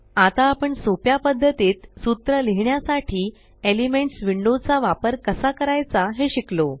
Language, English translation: Marathi, Now we learnt how to use the Elements window to write a formula in a very easy way